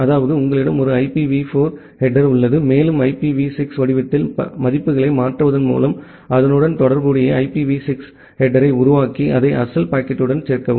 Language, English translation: Tamil, That means, you have a IPv4 header and you create a corresponding IPv6 header, by converting the values in the IPv6 format and then add it with the original packet